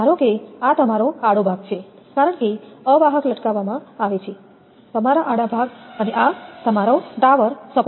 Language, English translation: Gujarati, Suppose this is your cross arm because insulator are hang hung from the; your cross arm and this is your support the tower